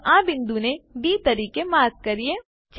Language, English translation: Gujarati, Lets mark this point as D